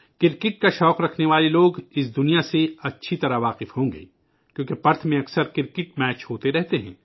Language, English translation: Urdu, Cricket lovers must be well acquainted with the place since cricket matches are often held there